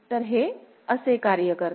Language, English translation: Marathi, So, this is how it works